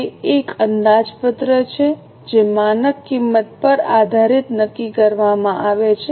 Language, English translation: Gujarati, It is a budgeted cost which is determined based on the standard costing